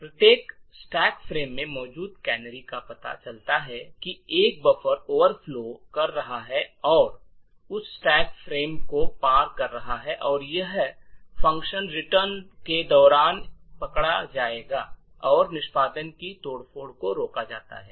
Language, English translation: Hindi, The canaries present in each stack frame would detect that a buffer is overflowing and crossing that particular stack frame, and this would be caught during the function return and the subversion of the execution is prevented